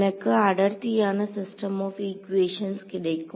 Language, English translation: Tamil, So, it was the dense system of equations